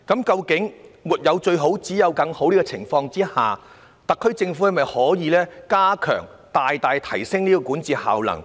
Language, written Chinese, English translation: Cantonese, 在"沒有最好，只有更好"的大前提下，特區政府可否大大提升其管治效能？, Can the SAR Government manage to enhance significantly its governance effectiveness under the premise of always do better than the best?